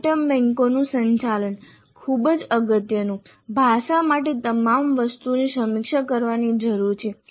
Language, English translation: Gujarati, Managing the item banks, all items need to get reviewed for language that is very important